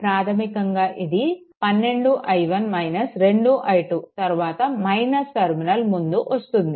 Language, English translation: Telugu, It is basically 12 i 1 minus 2 i 2 then encountering minus terminal first